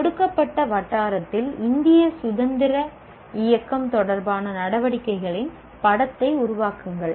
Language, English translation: Tamil, Construct a picture of activities related to Indian freedom movement in a given locality